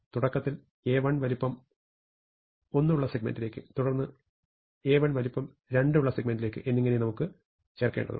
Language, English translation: Malayalam, Initially I want to insert A 1 into segment of size 1, then A 2 into segment of size 2 and so on